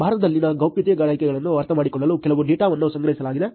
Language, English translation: Kannada, There was some data collected to understand the privacy perceptions in India